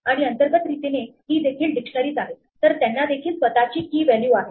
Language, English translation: Marathi, And internally they are again dictionaries, so they have their own key value